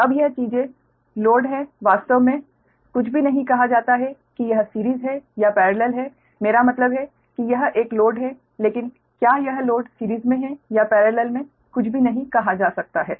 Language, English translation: Hindi, right now, this things are there load, actually, nothing is say that whether it is a series or parallel, right, there is, i mean it is a load, but whether it is loads are series in parallel, nothing is said